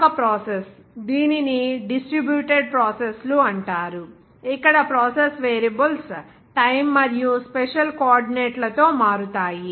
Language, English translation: Telugu, Another process, it is called distributed processes, where process variables change with both time and special coordinates